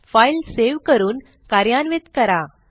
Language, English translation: Marathi, save the file and run it